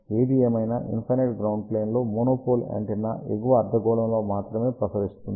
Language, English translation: Telugu, However, a monopole antenna on infinite ground plate will radiate only in the upper hemisphere